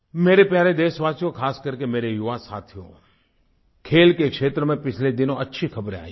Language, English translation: Hindi, My dear countrymen, especially my young friends, we have been getting glad tidings from the field of sports